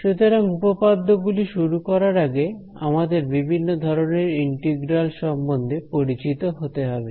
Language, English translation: Bengali, So, before we come to theorems we again have to get familiar with the different kinds of integrals that are there ok